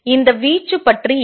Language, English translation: Tamil, What about this amplitude